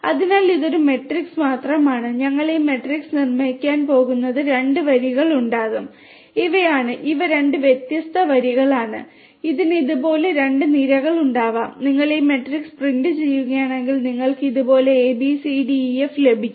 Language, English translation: Malayalam, So, you know so this is just a this matrix that we are going to build this matrix will have 2 rows, these are; these are the 2 different rows and it is going to have 3 columns like this and if you print this matrix then you get a, b, c, d, e, f; a, b, c, d, e, f like this